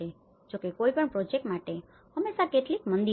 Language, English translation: Gujarati, Of course, for any project, there are always some downturns